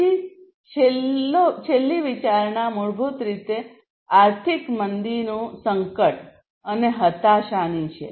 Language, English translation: Gujarati, So, then the last one is basically the consideration of economic crisis recession and depression